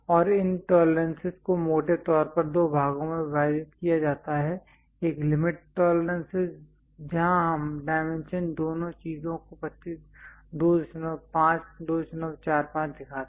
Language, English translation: Hindi, And these tolerances are broadly divided into two parts one is limit tolerances, where we show the dimension 2